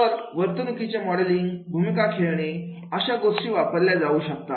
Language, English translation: Marathi, So, behavior modeling, role playing, this can be used